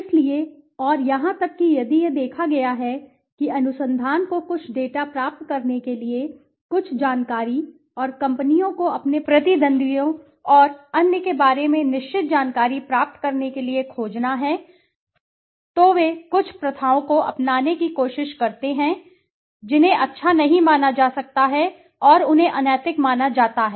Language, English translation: Hindi, So and even in case is it has been seen that the research has to find certain data to get certain information and companies to get certain information about their competitors and others, they try to adopt certain practices which cannot be considered good and they are considered unethical